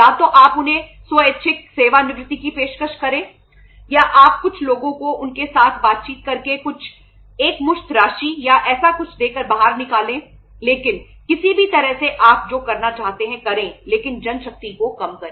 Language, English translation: Hindi, Either you offer then the voluntary retirements or you say throw some people out by say negotiating with them giving some lump sum amount or something like that but anyhow do whatever you want to do but reduce the manpower